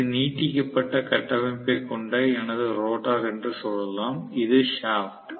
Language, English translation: Tamil, Let us say this is my rotor with protruding structure, this is the shaft right